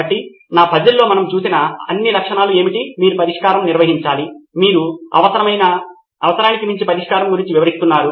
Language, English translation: Telugu, So what all the features like what we saw in my puzzle, you have to define, you are describing a solution more than the solution itself